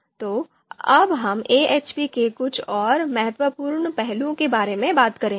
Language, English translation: Hindi, Now we will move to few more points on AHP